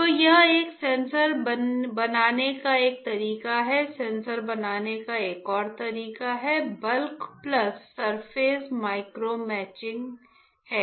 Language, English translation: Hindi, So, this is one way of creating a sensor there is another way of creating sensor will be bulk plus surface micromachining all right